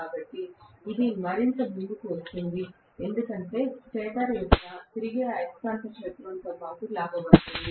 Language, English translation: Telugu, So, it catches up further and further because of which it will be dragged along with the revolving magnetic field of the stator